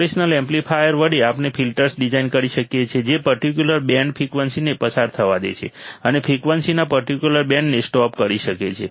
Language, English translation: Gujarati, With the operational amplifier we can design filters that can allow a certain band of frequencies to pass and certain band of frequency to stop